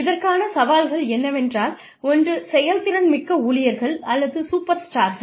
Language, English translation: Tamil, The challenges to this are, one is the, over performing employees or superstars